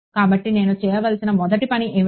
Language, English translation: Telugu, So, what is the first thing I have to do